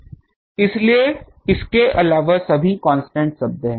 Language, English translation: Hindi, So, apart from that all are constant terms